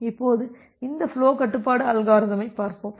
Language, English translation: Tamil, Now, let us look into this flow control algorithm